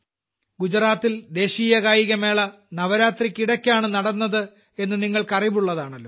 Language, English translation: Malayalam, You have seen that in Gujarat the National Games were held during Navratri